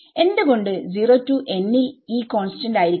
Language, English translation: Malayalam, Why should E be constant from 0 to n